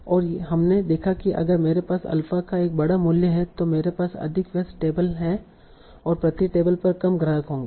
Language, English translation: Hindi, And we saw that if I have a large value of alpha, I'll have more occupied tables and fewer customers per table